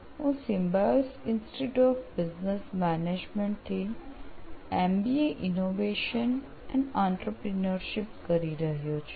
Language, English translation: Gujarati, And I am doing my MBA in Innovation and Entrepreneurship from Symbiosis Institute of Business Management